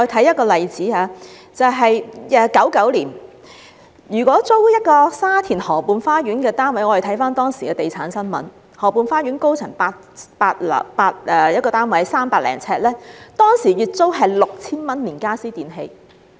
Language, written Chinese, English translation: Cantonese, 1999年，租住沙田河畔花園的一個單位......我們看看當時的地產新聞，河畔花園高層一個300多呎的單位，當時月租 6,000 元，連傢俬電器。, In 1999 the rent of a flat in Garden Rivera Sha Tin was Let us take a look at the property news at that time For a flat of over 300 sq ft in the upper floors of Garden Rivera the monthly rent including furniture and electrical appliances was 6,000